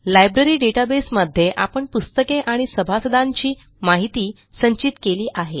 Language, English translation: Marathi, In this Library database, we have stored information about books and members